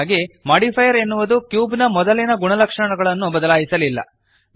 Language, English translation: Kannada, So the modifier did not change the original properties of the cube